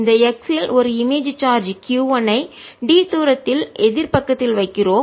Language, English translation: Tamil, so we are placing an image charge q one at a distance d on the opposite side